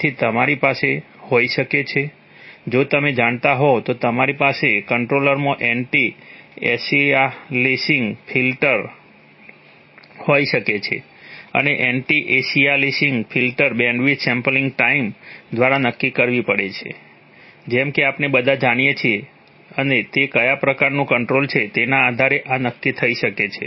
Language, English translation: Gujarati, So you might have an, if you know, you might have an anti aliasing filter in the controller and the anti aliasing filter bandwidth will have to be decided by the sampling time as we all know and this may be decided based on what kind of control it is